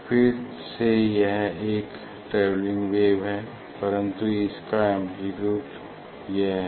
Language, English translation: Hindi, this again it is the, it is a travelling wave this is a travelling wave, but its amplitude is this